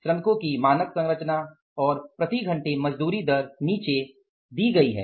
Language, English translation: Hindi, The standard composition of the workers and the wage rate per hour is given below